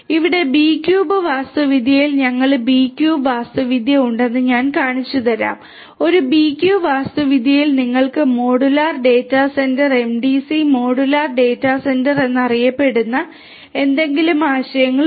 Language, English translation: Malayalam, Here in the B cube architecture I will show you that we have B cube architecture, in a B cube architecture you have the concepts of something known as the modular data centre MDC modular data centre